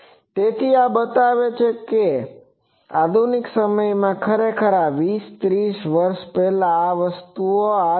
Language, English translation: Gujarati, So, this shows that in modern days the actually this 20 30 years back this type of things came